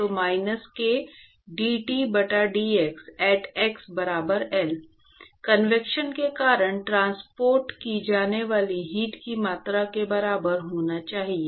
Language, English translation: Hindi, So, minus k dT by dx at x equal to L should be equal to the amount of heat that is transported because of convection